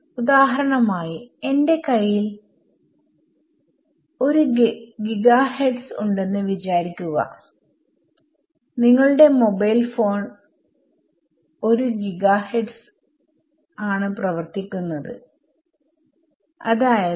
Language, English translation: Malayalam, So, for example, if I have a 1 gigahertz your mobile phone works at 1 gigahertz 30 centimeters